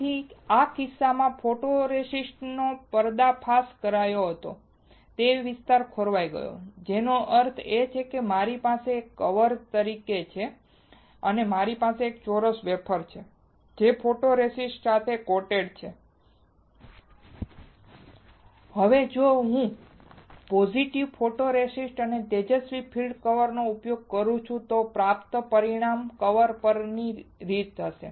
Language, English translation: Gujarati, So, in this case the area which was exposed the photoresist got etched; which means, that if I have this as a mask and I have a square wafer which is coated with the photoresist; Now, if I use positive photoresist and a bright field mask then the result obtained will be the pattern on the mask